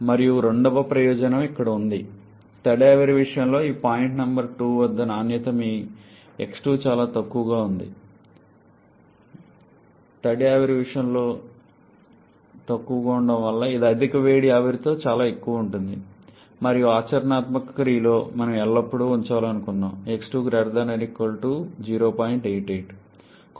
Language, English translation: Telugu, And the second advantage is here, like in case of wet steam the quality at this point number two your x2 can be quite low which is much higher with superheated vapour